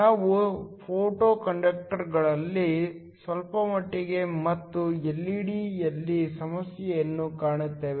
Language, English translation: Kannada, We will also a bit at photoconductors and also a problem on LED